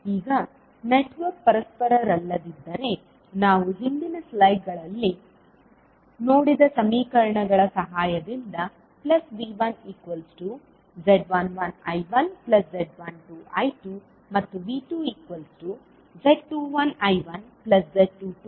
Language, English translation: Kannada, Now, if the network is not reciprocal is still with the help of the equations which we saw in the previous slides that is V1 is equal to Z11 I1 plus Z12 I2 and V2 is equal to Z21 I1 plus Z22 I2